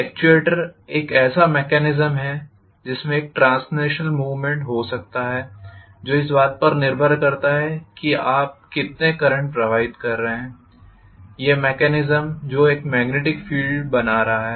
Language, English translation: Hindi, The actuator is a mechanism which may have a translational movement depending upon how much current you are passing through, another mechanism which is creating a magnetic field